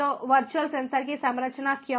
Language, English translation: Hindi, so why composition of the virtual sensors